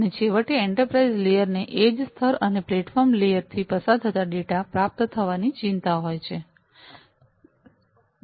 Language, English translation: Gujarati, And finally, the enterprise layer concerns receiving data flows from the edge layer and the platform layer